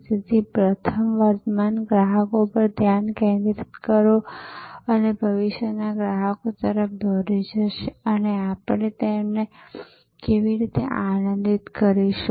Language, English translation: Gujarati, So, first is focus on current customers, which will lead to future customers and how we will delight them